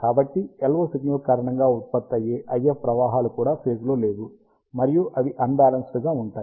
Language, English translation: Telugu, So, the IF currents that are produced because of the LO signal are also out of phase, and they are balanced out